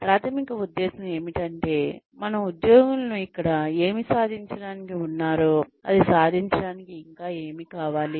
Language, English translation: Telugu, The primary motive is to find out, what more do our employees need, in order to achieve, what they are here to achieve